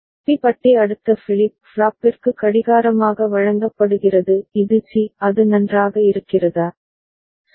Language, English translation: Tamil, B bar is fed as clock to the next flip flop that is C is it fine, ok